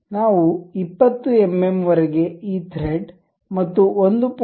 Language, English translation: Kannada, So, up to 20 mm we would like to have this thread and 1